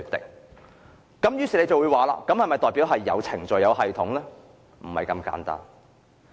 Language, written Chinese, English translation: Cantonese, 大家可能會問道："這不是代表有程序和系統嗎？, Members may ask Doesnt this show that they have procedures and a system in place?